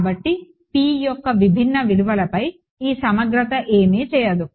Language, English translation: Telugu, So, this integral over different values of p does not do anything